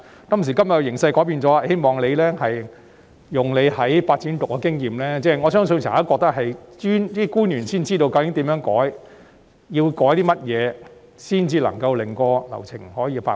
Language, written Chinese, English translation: Cantonese, 今時今日形勢已改變，希望局長利用他在發展局的經驗......我相信只有政府官員才知道，究竟該如何改動和要改動些甚麼才能夠令流程加快。, Situations have changed now . I hope that the Secretary will make use of his experience in the Development Bureau I believe only government officials know how and what changes can be made to speed up the processes